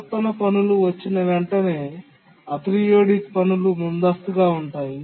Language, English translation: Telugu, And as soon as periodic tasks come, the aperidic tasks are preempted